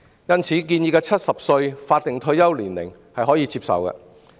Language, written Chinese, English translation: Cantonese, 因此，建議的70歲法定退休年齡是可以接受的。, It is hence acceptable for the statutory retirement ages to be set at 70 as proposed